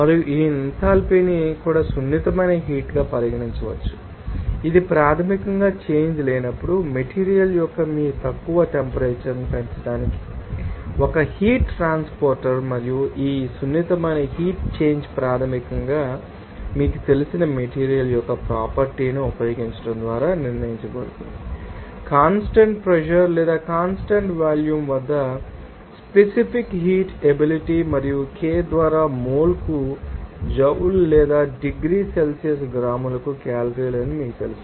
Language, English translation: Telugu, And this enthalpy also can be regarded as a sensible heat, this is basically a heat transport to raise your lower the temperature of a material in the absence of a change and this sensible heat change is basically determined by using a you know property of matter called the specific heat capacity at constant pressure or constant volume and it is represented by you know that joule per mole per K or calorie per gram per degree Celsius